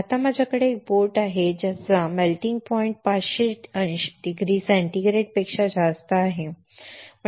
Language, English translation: Marathi, Now I have a boat which it is melting point is way higher than 500 degree centigrade